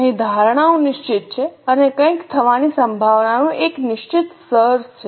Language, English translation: Gujarati, Here the assumptions are fixed and there is a certain level of possibility of some things happening